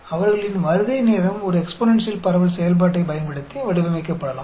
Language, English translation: Tamil, Their time of arrival could be modeled using an exponential distribution function